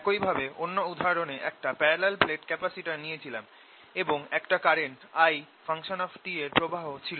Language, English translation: Bengali, similarly, in the other example, what i did, i took a parallel plate capacitor and i said there is a current which is coming in which is i t